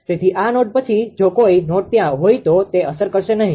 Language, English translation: Gujarati, So, beyond this node any nodes are there it will not be affected